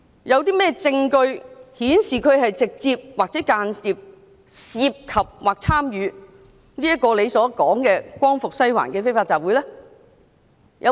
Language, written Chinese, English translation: Cantonese, 有甚麼證據顯示他直接或間接地涉及或參與何議員所說的"光復西環"的非法集會？, Is there any evidence to show that Mr LAM Cheuk - ting has directly or indirectly involved or participated in what Dr HO called the Liberate Sai Wan unlawful assembly?